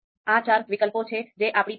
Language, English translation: Gujarati, So these are four alternatives that we have